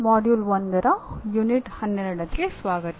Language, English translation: Kannada, Greetings and welcome to the Unit 12 of Module 1